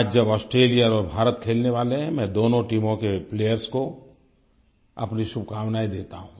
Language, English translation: Hindi, Today, as India and Australia get ready to play, I convey my best wishes to both the teams